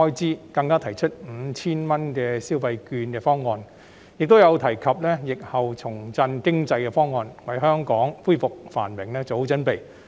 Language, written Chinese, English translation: Cantonese, 此外，更提出 5,000 元消費券及疫後重振經濟的方案，為香港恢復繁榮作好準備。, Moreover it even puts forth the proposals for the electronic consumption voucher of 5,000 and the revival of the economy in the aftermath of the pandemic such that Hong Kong is properly prepared to resume prosperity